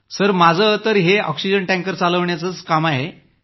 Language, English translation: Marathi, Sir, I drive an oxygen tanker…for liquid oxygen